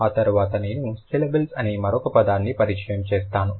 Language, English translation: Telugu, After that I will introduce another discipline specific term that is syllables